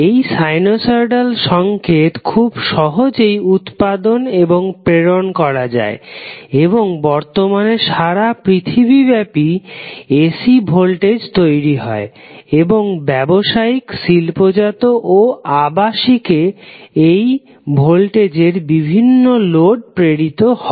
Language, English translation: Bengali, Sinosoidal signal is very easy to generate and transmit and right now almost all part of the world the voltage which is generated is AC and it is being supplied to various loads that may be residential, industrial or commercial